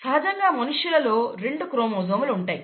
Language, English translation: Telugu, Typically people have two chromosomes, right